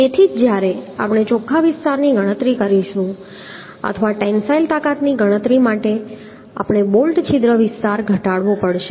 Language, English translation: Gujarati, that is why when we will be calculating the net area or the for calculation of the tensile strength, we have to reduce the bolt hole area because this bolt hole cannot take tension